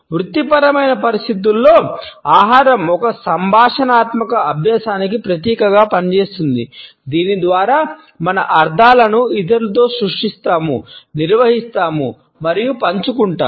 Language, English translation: Telugu, In the professional settings food function symbolically as a communicative practice by which we create, manage and share our meanings with others